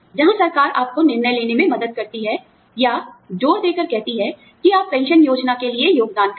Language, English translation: Hindi, Where the government, helps you decide, or, insists that, you contribute towards a pension plan